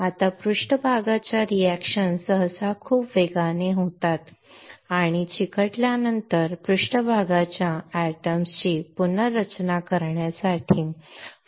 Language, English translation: Marathi, Now, surface reactions usually occur very rapidly and there is very little time for rearrangement of surface atoms after sticking